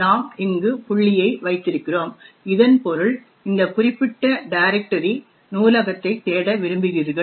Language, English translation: Tamil, Since we put dot over here it would mean that you want to search for the library in this particular directory